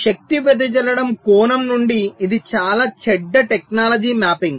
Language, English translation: Telugu, so from the point of view of power dissipation this is a very bad technology mapping